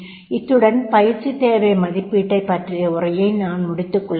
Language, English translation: Tamil, So, today, we will talk about the need assessment training need assessment